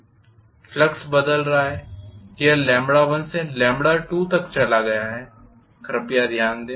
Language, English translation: Hindi, Flux is changing it has gone from lambda 1 to lambda 2, please note that